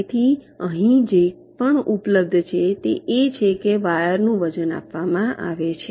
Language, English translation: Gujarati, so whatever is available here is that the weights of the wires are given